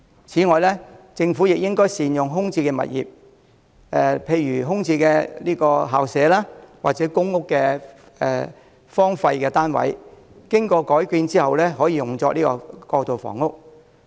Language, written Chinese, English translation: Cantonese, 此外，政府應善用空置的物業，例如空置校舍或公屋荒廢單位，在經過改建後用作過渡性房屋。, Furthermore the Government should make good use of vacant properties such as vacant school premises or abandoned public housing units by converting them into transitional housing